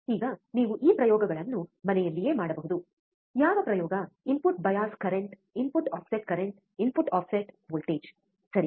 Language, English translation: Kannada, So now, you can do this experiments at home what experiment input bias current input offset current input offset voltage, right